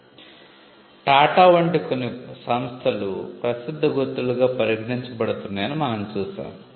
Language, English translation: Telugu, We have seen that some conglomerates like, TATA are regarded as well known marks